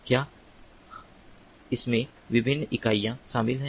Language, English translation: Hindi, so these are the different units